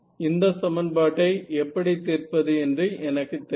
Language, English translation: Tamil, Yes what is the straightforward way of solving this kind of an equation